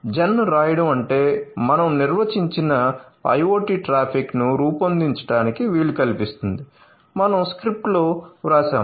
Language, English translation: Telugu, So, after writing gen so, it means it is enabling to generate the IoT traffic which we have defined at the we have written in the script